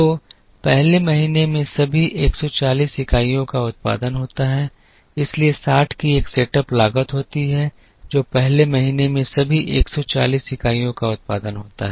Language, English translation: Hindi, So, all the 140 units are produced in the first month so there is a setup cost of 60 that is incurred, all the 140 units are produce in the first month